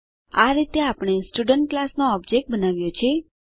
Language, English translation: Gujarati, Thus we have created an object of the Student class